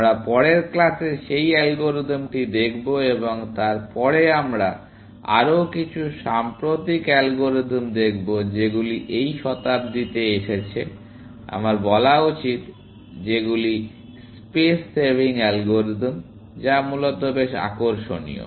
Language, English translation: Bengali, We will look at that algorithm in the next class and then, we will look at some more recent algorithms, which have come in this century, I should say, which are space saving algorithms, which are quite interesting, essentially